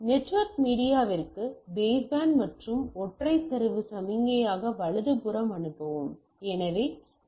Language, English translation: Tamil, Band to the network media and transmit a as a single data signal right